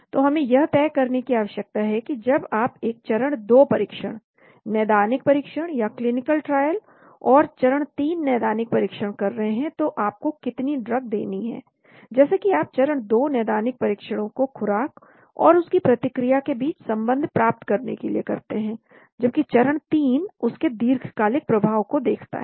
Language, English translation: Hindi, So we need to decide how much the drug has to be given for when you are doing a phase 2 trials, clinical trials and phase 3 clinical trials, as you know phase 2 clinical trials for getting a relationship between dose response relationship, whereas phase 3 is looking at slightly long term effects of that